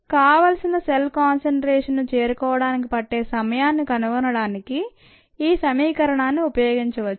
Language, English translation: Telugu, this equation can be used to find the time needed to reach a desired cell concentration